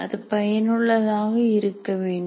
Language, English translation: Tamil, It should be effective